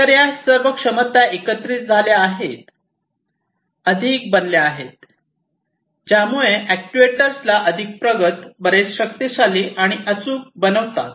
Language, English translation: Marathi, So, all of these capabilities combine together, becoming much, you know, making these actuators much more advanced, much more powerful, and much more accurate